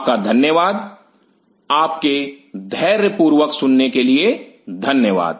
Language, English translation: Hindi, Thank you, thanks for your patience listening